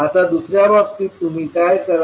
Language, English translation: Marathi, Now, in the second case what you will do